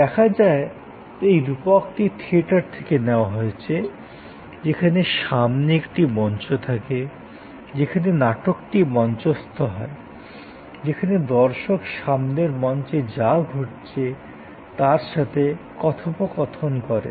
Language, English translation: Bengali, In a way, the metaphor is taking from theater, where there is a front stage, where the play is taking place, where the viewer is interacting with what is happening on the front stage